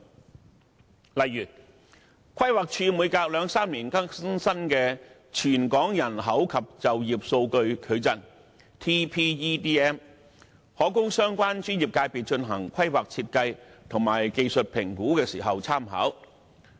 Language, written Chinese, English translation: Cantonese, 舉例而言，規劃署每兩三年更新一次的《全港人口及就業數據矩陣》，可供相關專業界別進行規劃設計及技術評估時參考。, For example the Territorial Population and Employment Data Matrix TPEDM updated by the Planning Department every two to three years may serve as reference for the relevant professional sectors in undertaking planning and design and conducting technical assessments